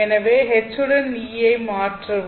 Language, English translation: Tamil, So in that case, substitute H with E